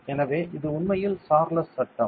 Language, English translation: Tamil, So, this is it is the Charles law